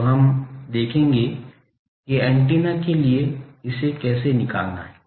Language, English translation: Hindi, So, now let us see that for an antenna how to find it